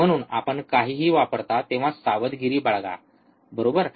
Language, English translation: Marathi, So, be cautious when you use anything, right